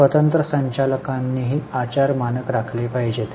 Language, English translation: Marathi, Independent directors are supposed to also maintain the standard of conduct